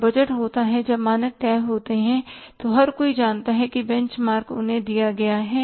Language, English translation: Hindi, When the budget is there when the standards are fixed, everybody knows that benchmark is given to them